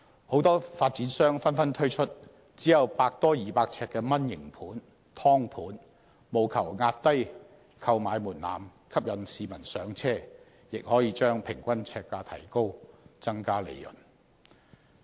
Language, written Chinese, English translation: Cantonese, 許多發展商紛紛推出只有百多二百呎的"蚊型盤"、"劏盤"，務求壓低購買門檻，吸引市民"上車"，亦可將平均呎價提高，增加利潤。, Many developers are now putting up mini flats or subdivided flats with no more than 200 sq ft for sale in the market . The developers are lowering the purchase threshold in order to attract first - time buyers while increasing their own profits through a higher per - square - foot price